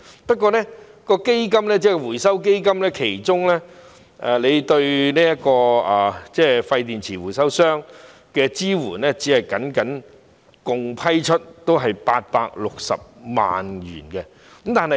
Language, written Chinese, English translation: Cantonese, 不過，回收基金對廢電池回收商的支援，僅僅合共批出860萬元。, However the total amount granted under the Fund to support waste battery recyclers is only 8.6 million